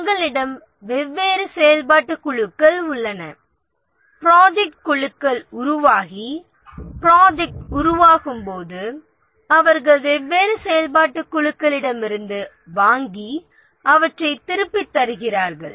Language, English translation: Tamil, We have different functional groups and as the project teams are formed and the project develops, they request from different functional groups and return them